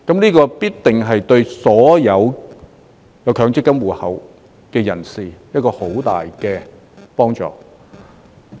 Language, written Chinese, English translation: Cantonese, 這必定對所有強積金戶口持有人有着很大的幫助。, This certainly will be a great help to all MPF account holders